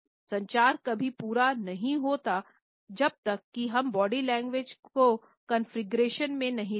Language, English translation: Hindi, The communication never becomes complete unless and until we also take body language into configuration